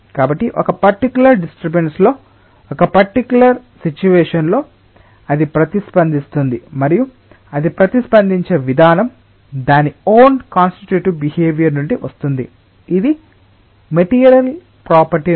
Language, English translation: Telugu, so in a particular disturbance, in a particular situation, it responds to that and the manner in which it responds it comes from its own constituting behavior, it comes from the material property